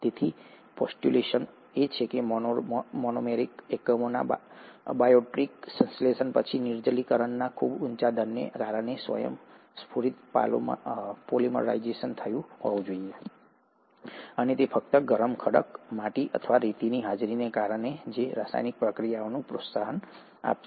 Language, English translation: Gujarati, So the postulation is that after the abiotic synthesis of monomeric units, there must have been spontaneous polymerization due to very high rate of dehydration and that is simply because of the presence of hot rock, clay or sand which will promote this chemical reaction